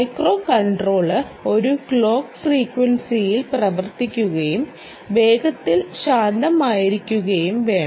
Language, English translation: Malayalam, macro controller should run at a clock frequency should be quiet fast